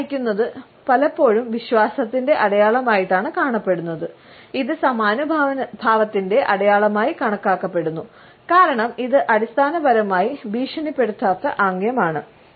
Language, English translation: Malayalam, Tilting the head is often seen as a sign of trust, it is also perceived as a sign of empathy, as it is basically a non threatening gesture